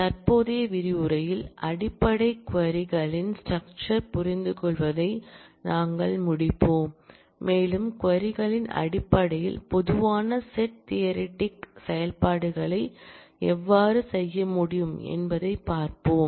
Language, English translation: Tamil, In the current module we will complete the understanding of the basics queries structure and will see how, common set theoretic operations can be performed in terms of queries